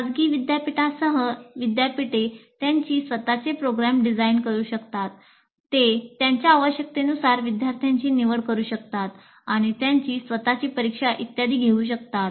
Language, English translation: Marathi, They can design their own programs, they can select students as per their requirements and they can conduct their own examinations and so on